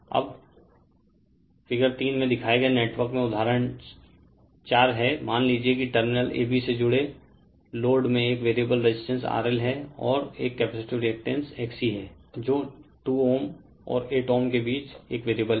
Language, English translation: Hindi, Now, example 4 in the network shown in figure 3; suppose the load connected across terminal A B consists of a variable resistance R L and a capacitive reactance X C I will show you which is a variable between 2 ohm, and 8 ohm